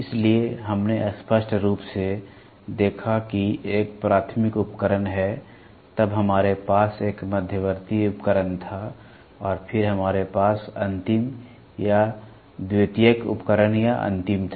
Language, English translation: Hindi, So, we saw very clearly there is a primary device, then we had an intermediate device; intermediate we had and then we had the final or secondary device or final